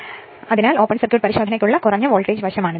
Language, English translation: Malayalam, So, this is the low voltage side for open circuit test right